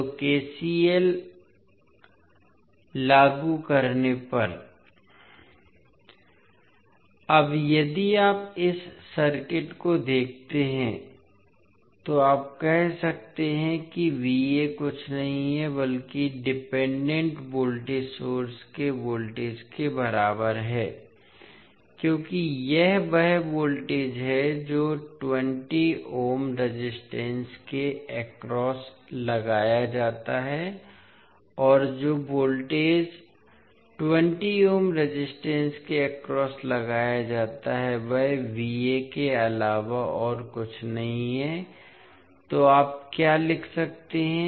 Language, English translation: Hindi, Now, if you see this particular circuit you can say that V a is nothing but equal to voltage the of dependent voltage source because this is the voltage which is applied across the 20 ohms resistance and the voltage which is applied across 20 ohms resistance is nothing but V a